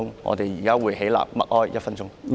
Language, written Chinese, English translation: Cantonese, 我們現在會起立默哀1分鐘。, We will now rise to pay silent tribute for one minute